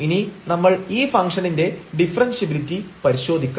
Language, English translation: Malayalam, So, this is useful in testing the differentiability of the function